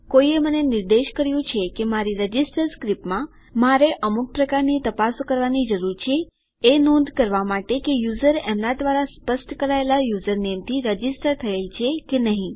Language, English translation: Gujarati, Some one has pointed out to me that in my register script, I need some kind of check to note if the user has been registered or not by the username that they specify